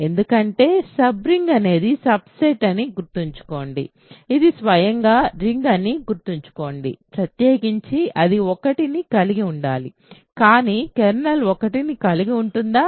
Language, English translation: Telugu, It is not, because remember a sub ring is a subset which is a ring by itself in particular it is supposed to contain 1, but can the kernel contain 1